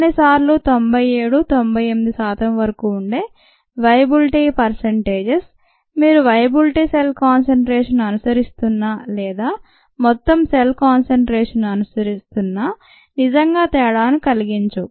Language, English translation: Telugu, sometimes the viability percentages are very high ninety, seven, ninety, eight percent that it doesn't really make a difference whether you follow viable cell concentration or total cell concentration ah